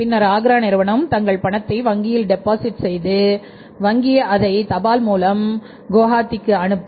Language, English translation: Tamil, Then Agra firm will deposit their check into the bank and bank will send it by post to Gohati